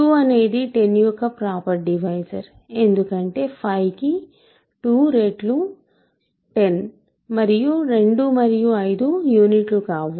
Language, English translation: Telugu, 2 is a proper divisor of 10 because 2 times 5 is 10 and 2 and 5 are not units